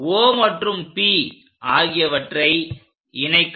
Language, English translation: Tamil, Now, join O and P